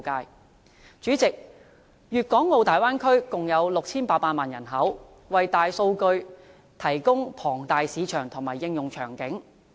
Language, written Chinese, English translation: Cantonese, 代理主席，粵港澳大灣區共有 6,800 萬人口，為大數據提供龐大市場及應用場景。, Deputy President the Bay Area with its 6.8 million inhabitants provides an enormous market for big data and a venue for its application